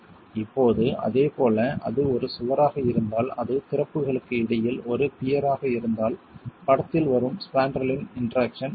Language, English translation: Tamil, Now, in a similar manner, if it is a wall, if it is a peer between openings which then has the interaction of the spandrel coming into the picture